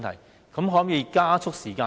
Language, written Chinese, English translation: Cantonese, 當局可否縮短時間呢？, Can the authorities reduce the time needed?